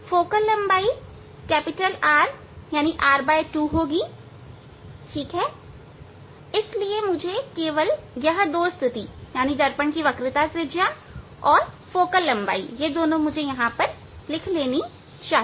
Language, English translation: Hindi, focal length will be R by 2, so I must note down only this two position